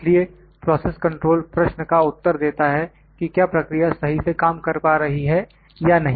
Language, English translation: Hindi, So, process control answers the question whether the process is functioning properly or not